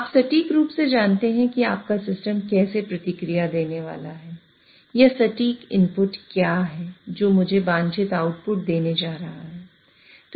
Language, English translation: Hindi, You are exactly, you exactly know how your system is going to respond or what is the exact input which is going to give me the desired output